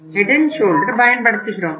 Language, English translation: Tamil, Head and Shoulder is the one brand